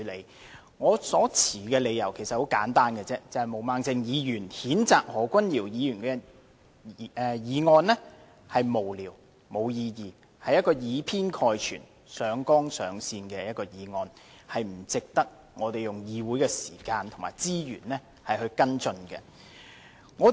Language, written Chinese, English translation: Cantonese, 其實我所持的理由很簡單，便是毛孟靜議員譴責何君堯議員的議案是無聊、無意義，是以偏概全，上綱上線的議案，實不值得我們花議會的時間和資源跟進。, My reason is simple the censure motion moved by Ms Claudia MO against Dr Junius HO is frivolous vague one - sided and has overplayed the matter which indeed does not deserve the meeting time and resources of this Council for follow - up